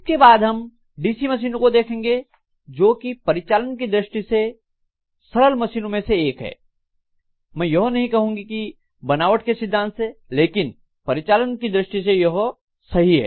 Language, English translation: Hindi, After this we will be looking at DC machines, because this is one of the simpler machines in terms of operation, I would not say constructional principle, definitely in operation